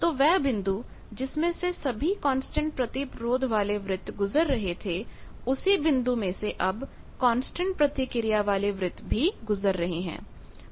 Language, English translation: Hindi, So, the same point through which all the constant resistance circles passed the constant reactance circles also passed through the same point